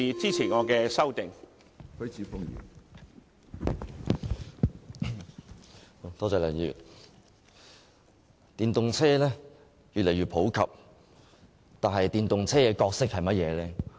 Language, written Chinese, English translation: Cantonese, 梁議員，電動車越來越普及，但電動車擔當甚麼角色呢？, Mr LEUNG electric vehicles EVs have turned increasingly popular . But what is the role of EVs?